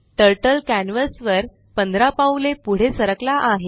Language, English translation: Marathi, Turtle moves 15 steps forward on the canvas